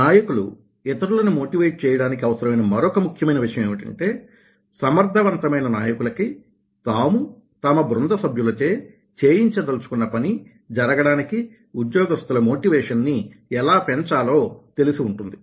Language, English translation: Telugu, another very important thing for leaders to motivate others is that effective leaders know how to in, increase, imply motivation by motivating team members to one to do what needs to be done, by effectively using following three motivational factors